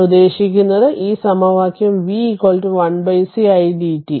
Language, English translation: Malayalam, So, this equation v is equal to 1 upon c idt